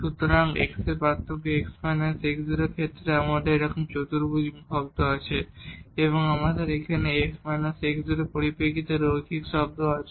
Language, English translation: Bengali, So, we have somehow the quadratic term in terms of x the difference x minus x naught and we have the linear term here in terms of x minus x naught